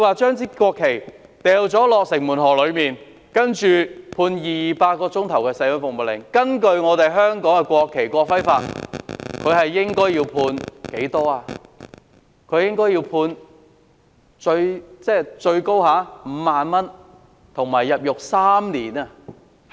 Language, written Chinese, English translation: Cantonese, 將國旗掉進城門河的犯事者被判200小時社會服務令，但根據香港《國旗及國徽條例》，此罪行的最高刑罰是罰款5萬元及入獄3年。, the few thousand dollars . While the offender who threw the national flag into Shing Mun River was given a sentence of 200 hours of community service order the maximum penalty for this offence is a fine of 50,000 and imprisonment of three years under the National Flag and National Emblem Ordinance